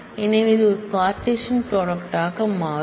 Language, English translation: Tamil, So, it merely turns out to be a Cartesian product